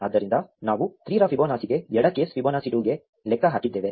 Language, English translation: Kannada, So, we have computed for Fibonacci of 3, the left case Fibonacci of 2